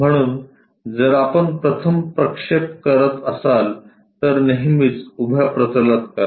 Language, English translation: Marathi, So, if we are projecting first projection always be on to vertical plane